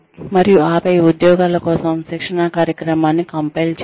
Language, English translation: Telugu, And, then compile, the training program for the jobs